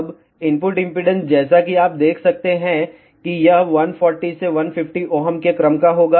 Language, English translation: Hindi, Now, input impedance as you can see that, it will be of the order of 140 to 150 ohm